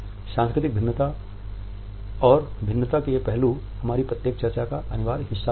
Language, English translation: Hindi, These aspects of cultural variations and differences would be a compulsory part of each of our discussion